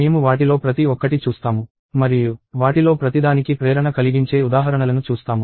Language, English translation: Telugu, We will see each one of them and see motivating examples for each one of them